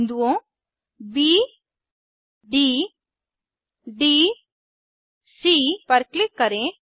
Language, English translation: Hindi, Click on the points ,B D ...D C ..